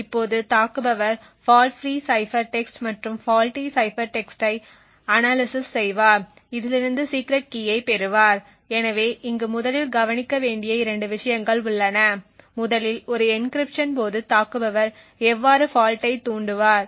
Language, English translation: Tamil, Now the attacker would analyze the fault free cipher text and the faulty cipher text and from this derive the secret key so there are essentially two things to look over here first is how would the attacker induce the fault during an encryption